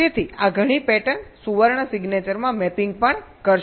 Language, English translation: Gujarati, so these many patterns will also be mapping into the golden signature